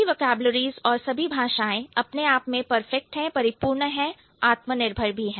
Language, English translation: Hindi, All vocabulary, all languages are perfect in that sense, self sufficient